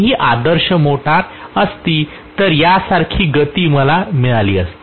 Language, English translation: Marathi, But it had been the ideal motor I would have gotten the speed somewhat like this